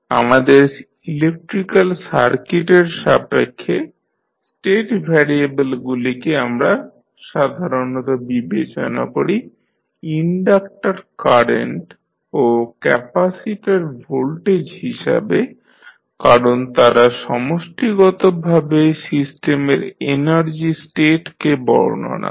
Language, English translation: Bengali, With respect to our electrical circuit the state variables we generally consider as inductor current and capacitor voltages because they collectively describe the energy state of the system